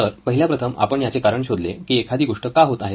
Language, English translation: Marathi, So the first one is we reasoned out why a certain thing happening